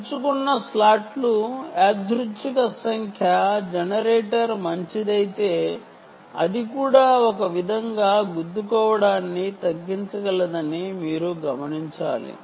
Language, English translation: Telugu, it is important for you to note that the random number generator generator, if it is a good one, ah, can also reduce collisions in a way